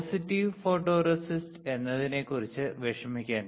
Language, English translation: Malayalam, Do not worry about it positive photoresist ok